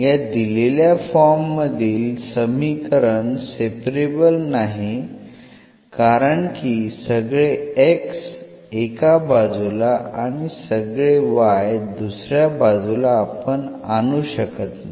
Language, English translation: Marathi, So, this equation as such given in this form is not separable because we cannot bring all this x to one side and y to other side